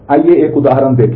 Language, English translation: Hindi, So, let us have a look at the example